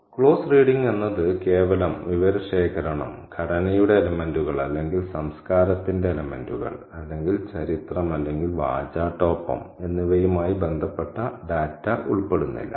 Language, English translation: Malayalam, Now, closed reading doesn't simply involve collection of data, data in relation to elements of structure or elements of culture or history or rhetoric